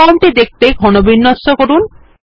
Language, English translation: Bengali, Make the form look compact